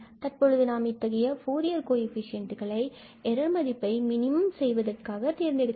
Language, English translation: Tamil, Now, we have to choose the Fourier coefficients to get this error or to minimize this error